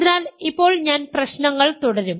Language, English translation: Malayalam, So, now I will continue with the problems